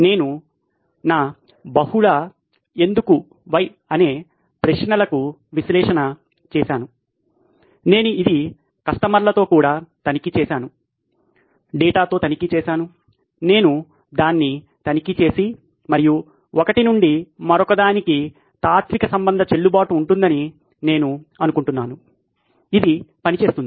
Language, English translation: Telugu, I have done my multi why analysis, it is reasonable I have checked it with customers, I have checked it with data, I have checked it and I think the chain of reasoning is valid from one why to the other, it works